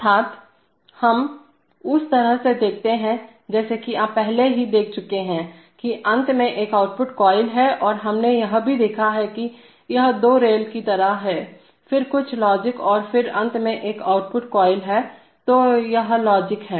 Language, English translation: Hindi, Namely, we look at the, as you have already seen, that there is an, that there is an output coil at the end and we have also seen, that it is like two rails then some logic and then finally an output coil, so this is logic